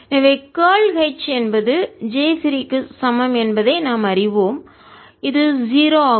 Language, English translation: Tamil, so we know that curl of h is j free, which is zero